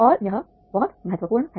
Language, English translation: Hindi, And this is very important